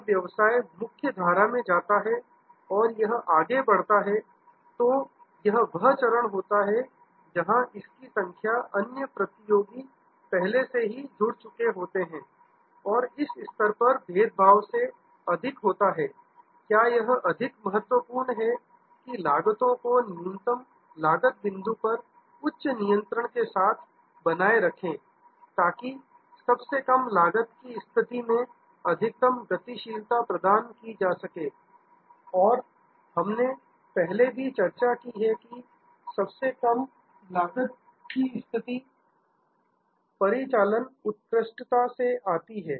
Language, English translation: Hindi, When the business goes in to the main stream and it progresses further, this is the stage where it has number of other competitor have already plugged in and at this stage more than differentiation, what is very important is to have the high control on cost to be in the lowest cost position to give you the maximum maneuverability and we have also discussed before, that the lowest cost position comes from operational excellence